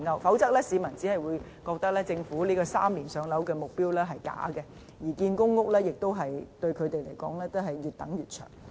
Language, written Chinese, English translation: Cantonese, 否則，市民只會覺得政府提出 "3 年上樓"的目標是假的，而且即使興建公屋，他們仍是要越等越長。, Otherwise people cannot help but consider that the Governments pledge is merely a lie because even though PRH units are being built they must wait longer and longer